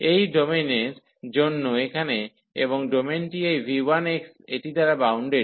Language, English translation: Bengali, So, for this domain here and this domain is bounded by this v 1 x